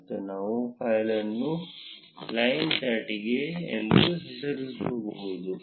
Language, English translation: Kannada, And we can name the file as line highcharts